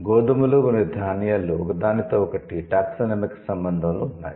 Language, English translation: Telugu, So wheat and grain, they are in a taxonomic relation with each other